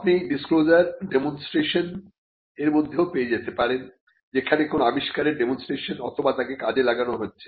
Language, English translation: Bengali, You could find disclosures in demonstrations where an invention is demonstrated or put to use